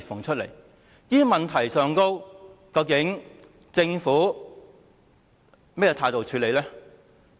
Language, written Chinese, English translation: Cantonese, 就這些問題，究竟政府採取了甚麼態度來處理？, What attitude has the Government adopted in addressing these problems?